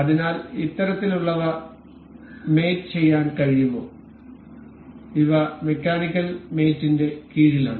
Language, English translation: Malayalam, So, could do this kind of mates these are these come under mechanical mates